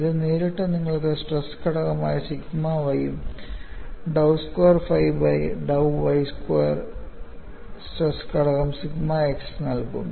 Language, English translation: Malayalam, This directly gives you the stress component sigma y and dou squared phi by dou y squared will give you stress component sigma x